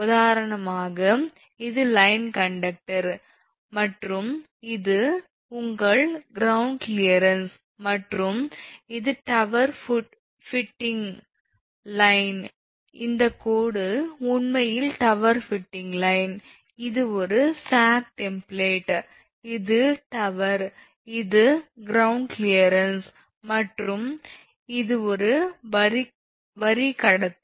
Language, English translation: Tamil, For example, suppose this is the line conductor and this is your ground clearance and this is the tower footing line this dashed line actually is the tower footing line, this is a sag template, this is tower this is tower and this is the ground clearance and this is the line conductor